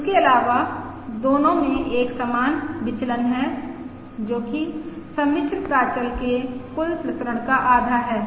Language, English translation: Hindi, Also, both of them have an equal variance which is half of the total variance of the complex parameter